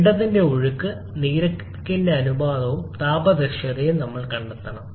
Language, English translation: Malayalam, We have to find the ratio of mass storage and the thermal efficiency of the combined cycle